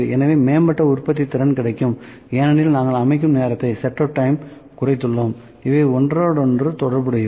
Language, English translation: Tamil, So, improved productivity because we have reduced set up time, these are interrelated